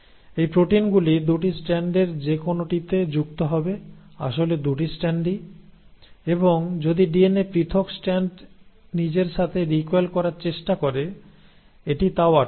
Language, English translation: Bengali, These proteins will bind on either of the 2 strands, both the 2 strands actually, and it will prevent it not only from binding to each other; if the DNA the separated strand tries to recoil with itself, it will prevent that also